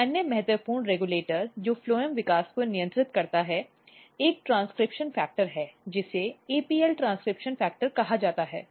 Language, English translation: Hindi, But another very important regulator which regulates phloem development is another transcription factor which is called APL APL transcription factor